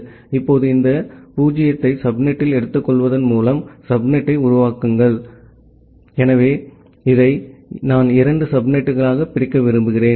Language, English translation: Tamil, Now, say you create a subnet by taking this 0 at the subnet in the indication part, so this one I want to divide into two subnet